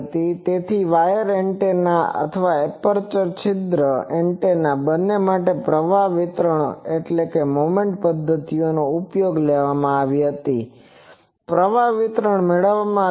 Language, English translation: Gujarati, So, current distribution both the for wire antennas or aperture antennas moment methods were used and found out